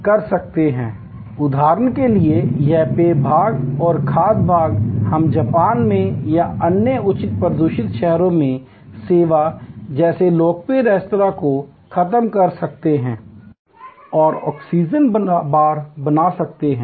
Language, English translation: Hindi, So, for example, this beverage part and food part, we can eliminate and create a restaurant like service, very popular in Japan or in other high polluted cities, there call oxygen bars